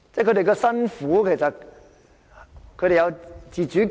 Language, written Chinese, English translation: Cantonese, 他們辛苦，但他們其實有自主權。, They are having a hard time but they actually have the right to decide for themselves